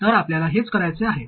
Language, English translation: Marathi, So that's what we have to do